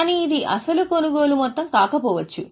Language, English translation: Telugu, But this may not be the actual amount of purchase